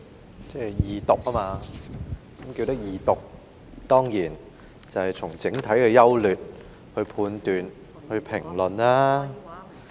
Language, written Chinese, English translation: Cantonese, 代理主席，在二讀辯論時，議員當然就法案的整體優劣作判斷和評論。, Deputy President at the Second Reading debate a Member should certainly make judgments and comments on the general merits of the bill